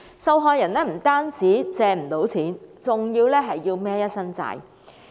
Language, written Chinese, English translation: Cantonese, 受害人不單無法借到錢，還要背負一身債項。, Not only would the victims fail to get any money they would also be overburdened with debts